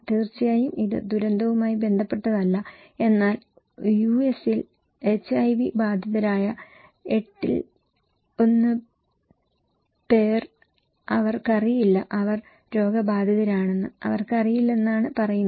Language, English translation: Malayalam, Of course, it is not related to disaster but it’s saying that 1 in 8 living with HIV in US they don’t know, they don’t know that they are infected